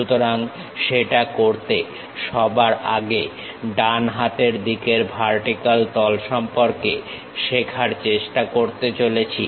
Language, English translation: Bengali, So, to do that, we are going to first of all learn this right hand vertical face